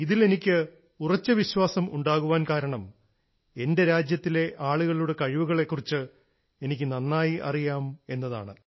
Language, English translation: Malayalam, I had this firm faith, since I am well acquainted with the capabilities of my country and her people